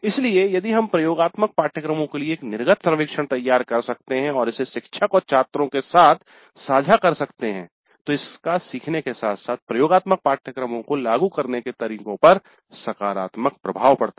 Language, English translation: Hindi, So, if we can design an exit survey for the laboratory courses upfront and share it with faculty and students, it has some positive impact on the learning as well as the way the laboratory course is implemented